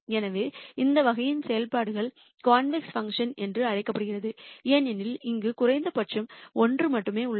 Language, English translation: Tamil, So, functions of this type are called convex functions because there is only one minimum here